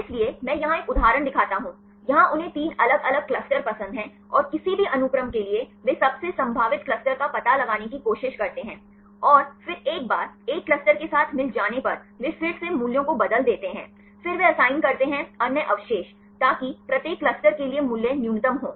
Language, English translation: Hindi, So, here I show one example, here they like to have three different clusters and for any sequence they try to find out the most probable cluster, and then once it is found with one cluster then they reorganize change the values, then again they assign the other residues so that for each cluster the value should be minimum